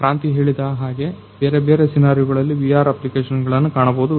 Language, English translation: Kannada, So, as Kranti was saying there are different; different scenarios where VR can find applications